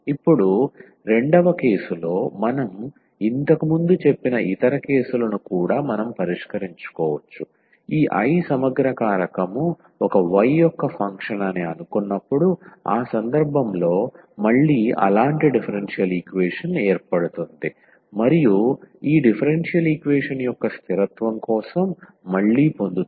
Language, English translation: Telugu, Now, the other case also we can deal which we have just stated before in the case 2, when we assume that this I the integrating factor is a is a function of y alone in that case again such a differential equation will be formed and we will get again for the consistency of this differential equation